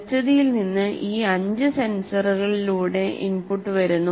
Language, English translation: Malayalam, The input comes from any of these five senses